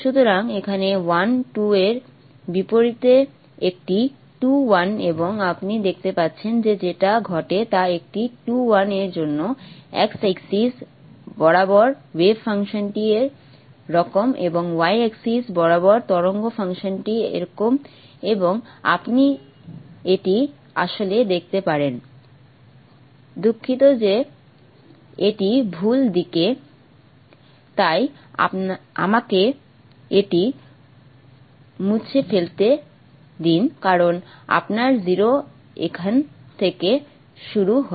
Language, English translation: Bengali, So here is a 2 1 as opposed to 1 2 and you see all that happens is that for a 2 1 the wave function along the x axis is like this and the wave function along the y axis it's like that okay and you can see that actually sorry this is in the wrong direction so let me erase that because you are zero starts from here therefore have that and this is the y axis